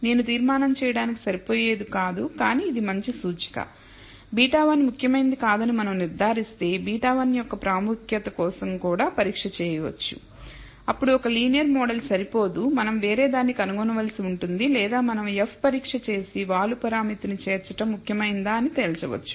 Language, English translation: Telugu, It is not sufficient what I call sufficient to conclude, but it is good indicator we can also do the test for beta significance of beta 1 if we conclude that beta 1 is not significant then maybe then a linear model is not good enough we have to find something else or we can do an F test and conclude whether including the slope parameter is significant